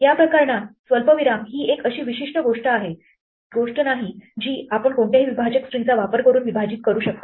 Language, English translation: Marathi, Comma in this case is not a very special thing you can split using any separator string